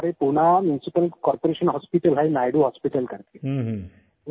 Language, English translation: Hindi, And in Pune, there is a Muncipal Corporation Hospital, named Naidu Hospital